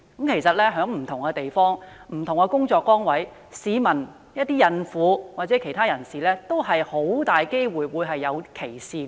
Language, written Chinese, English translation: Cantonese, 其實，在不同地方和工作崗位，市民包括孕婦及其他人士均有可能受到歧視。, In fact members of the public including pregnant women may be subject to discrimination in different places and workplaces